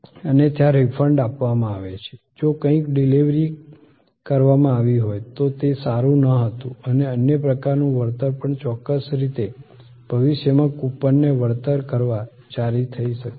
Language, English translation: Gujarati, Other, there is a refund given, if something has been deliver done, it was not good and the compensation of other types maybe also there in certain way, coupon maybe issued for future redemption and so on